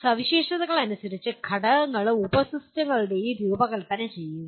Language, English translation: Malayalam, Design components and sub systems as per specifications